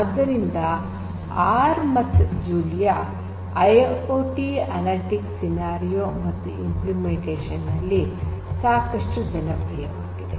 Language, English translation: Kannada, So, both R and Julia are quite popular in the IIoT analytics scenarios and their implementation